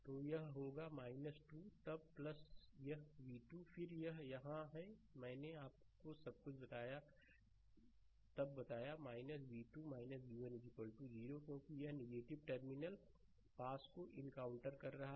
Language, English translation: Hindi, Right, then it will be minus 2 then plus this v 2, then, here it is here it is minus right, I told you everything then minus v 2 minus v 1 is equal to 0 because it is encountering minus terminal pass when you are moving like this